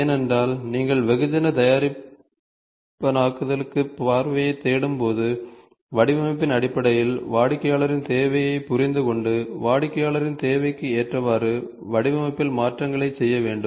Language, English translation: Tamil, Because when you are looking for the mass customization point of view, mass customization point of view you are supposed to understand the customer’s requirement in terms of design and make changes in the design such that it can suit the customer’s need